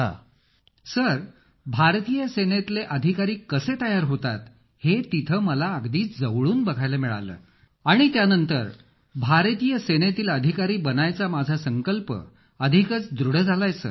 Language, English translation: Marathi, Sir, there I witnessed from close quarters how officers are inducted into the Indian Army … and after that my resolve to become an officer in the Indian Army has become even firmer